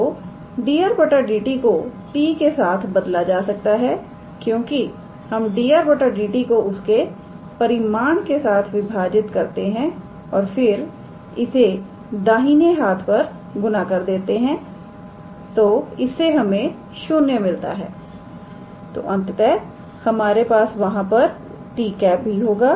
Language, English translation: Hindi, So, dr dt can be replaced with t cap because we divide dr dt by its magnitude and then we multiply it on the right hand side, so that will be 0, so ultimately we will have a t cap here as well